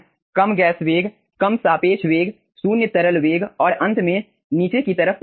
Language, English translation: Hindi, you are having low gas velocity, low relative velocity, zero liquid velocity and finally downward liquid velocity